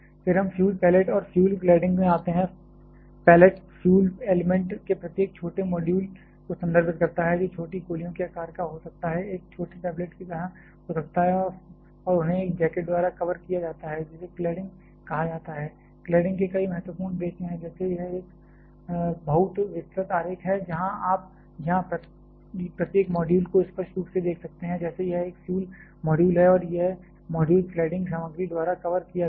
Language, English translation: Hindi, Then we come to fuel pallet and fuel cladding, pallet refers to each small module of fuel element which can be of the shape of small bullets or may be a just like a small tablet and their covered by a jacket which is called cladding, claddings have several important purpose like, this is a much elaborated diagram where you can clearly see each of the module here like this is the one this one is the fuel module and this module is being covered by the cladding material